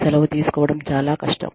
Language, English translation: Telugu, Leave taking is very difficult